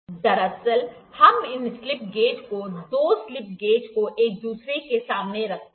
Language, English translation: Hindi, Actually, we put we hold this slip gauges, two slip gauges tight to each other, against each other